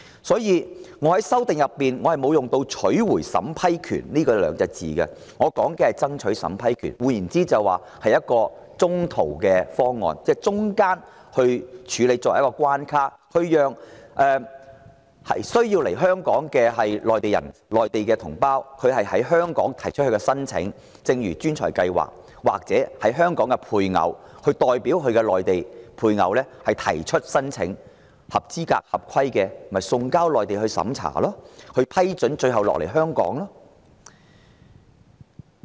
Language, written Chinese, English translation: Cantonese, 所以，我在修正案中沒有使用"取回審批權"的字眼，而是說"爭取審批權"，換言之就是一個中途方案，即在過程中設一個關卡處理申請，讓需要來港的內地同胞在香港提出申請，一如吸引專才的計劃，或由港人代其內地配偶提出申請，合資格、合規的就送交內地審查，獲批准後就來港。, Hence I refrained from using the phrase reclaiming the power to vet and approve in my amendment opting for striving for the power of Hong Kong to vet and approve instead . It is in other words a mid - way proposal where a checkpoint for processing applications is set up in the process allowing our compatriots on the Mainland who need to come to Hong Kong to lodge applications in Hong Kong―similar to the way in which the talent schemes operate―or through their spouses in Hong Kong . Qualified and compliant applications would be sent to the Mainland authorities for examination which approval must be obtained before the successful applicants can come to Hong Kong